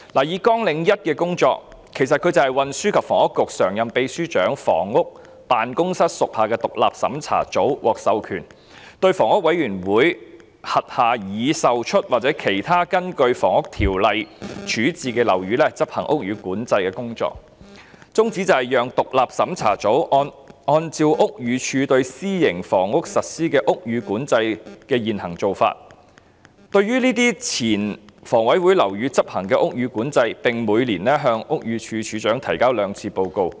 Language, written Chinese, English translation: Cantonese, 以綱領1的工作為例，其實是指運輸及房屋局常任秘書長辦公室屬下的獨立審查組，該組獲授權力對房委會轄下已售出或其他根據《房屋條例》處置的樓宇執行屋宇管制工作，宗旨是讓獨立審查組按照屋宇署對私營房屋實施屋宇管制的現行做法，對這些前房委會樓宇執行屋宇管制，並每年向屋宇署署長提交報告兩次。, Take the work under Programme 1 as an example it actually refers to the Independent Checking Unit ICU of the Office of the Permanent Secretary for Transport and Housing Housing . ICU is delegated the building control authority over buildings of HA that have been sold or otherwise disposed of under the Housing Ordinance HO . The aim is for ICU to exercise building control over these former HA buildings in accordance with the current practice of the Buildings Department BD on building control of private housing and to make a biannual report to the Director of Buildings